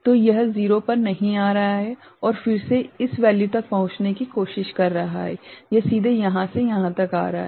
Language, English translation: Hindi, So, it is not coming to 0 and then again it is trying to reach this value, it is coming directly from here to here ok